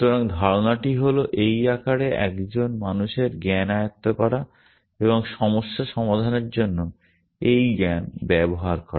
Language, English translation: Bengali, So, the idea is to capture knowledge of a human in this form and use this knowledge to solve problems